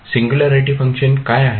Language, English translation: Marathi, What is singularity functions